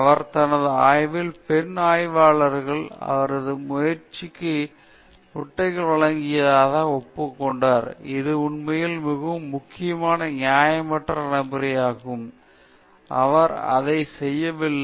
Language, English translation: Tamil, He admitted that female researchers in his own lab had supplied eggs for his research, which is actually a very important unethical practice, he should not have done that